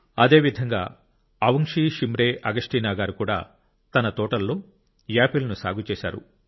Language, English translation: Telugu, Similarly, Avungshee Shimre Augasteena too has grown apples in her orchard